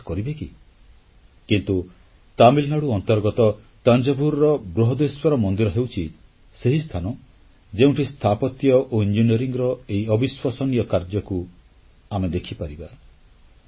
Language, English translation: Odia, But, Brihdeshwar temple of Thanjavur in Tamil Nadu is the place where this unbelievable combination of Engineering and Architecture can be seen